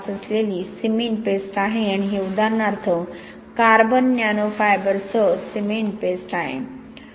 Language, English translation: Marathi, 5 and this for example is cement paste with carbon nano fiber